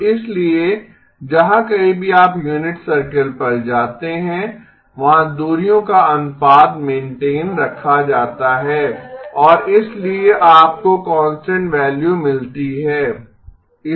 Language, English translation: Hindi, So therefore wherever you go on the unit circle, the ratio of the distances is maintained and therefore you get a constant value